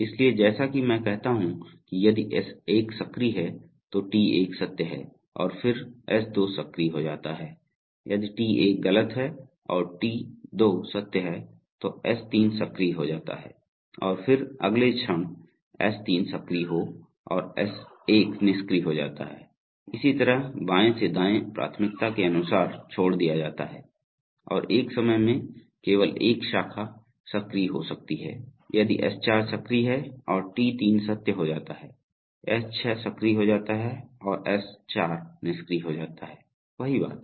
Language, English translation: Hindi, So as I say that if S1 is active T1 is true and then S2 is becomes active, if T1 is false and T2 is true then S3 becomes active and then the moment S3 becomes active S1 becomes inactive, similarly left to right priority as I said and only one branch can be active at a time, if S4 is active and T3 becomes true, S6 becomes active and S4 becomes inactive, same thing